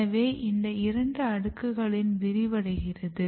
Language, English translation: Tamil, So, it expands in both the layers